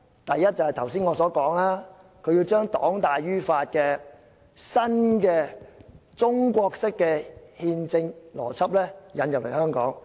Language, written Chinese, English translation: Cantonese, 第一，正如我剛才所說，要把黨大於法的新中國式憲政邏輯引入香港。, The first reason as I said earlier concerns the attempt to introduce into Hong Kong the new Chinese constitutional logic of the ruling party being superior to the law